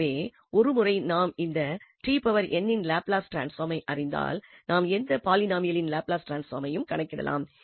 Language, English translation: Tamil, So once we know the Laplace transform of t power n we can compute the Laplace transform of any polynomial